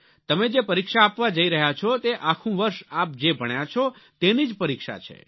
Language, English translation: Gujarati, See, the exam you are going to appear at is the exam of what you have studied during this whole year